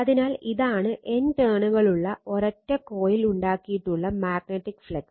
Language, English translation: Malayalam, So, in your what you call the magnetic flux produced by a single coil with N turns